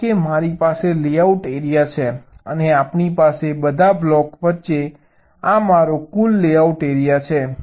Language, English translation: Gujarati, suppose i have the layout area, this is my total layout area, and all the blocks are in between